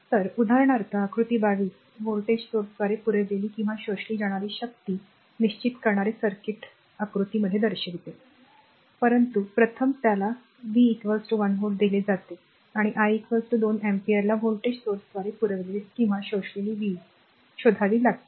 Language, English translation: Marathi, So, for example, figure 22 shows a circuit diagram determine the power supplied or absorbed by the voltage source, but first one it is given V is equal to 1 volt and I is equal to 2 ampere you have to find out that power supplied or absorbed by the voltage source; that means, this voltage source right